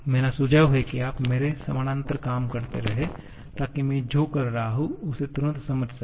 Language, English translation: Hindi, My suggestion is you keep on doing parallel to me, so that you can immediately grasp what I am doing